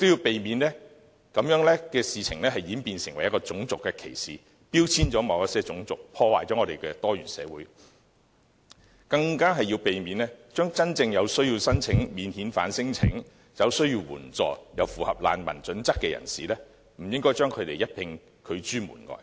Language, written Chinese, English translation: Cantonese, 我們亦要避免事情演變成種族歧視，標籤了某些種族，破壞我們的多元社會；更要避免將真正有需要申請免遣返聲請、有需要援助又符合難民準則的人遭一併拒諸門外。, We should also avoid turning the matter into acts of racial discrimination or creating a labelling effect on certain ethnicities so as not to disrupt our pluralistic society . What is more in rejecting those bogus non - refoulement claimants we should be cautious not to reject also the non - refoulement claimants who are in genuine need of assistance and meet the criteria of a refugee